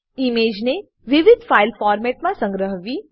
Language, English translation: Gujarati, Save the image in various file formats